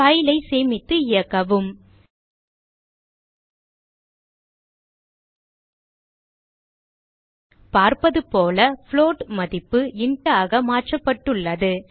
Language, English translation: Tamil, save and run the file As we can see, the float value has been converted to int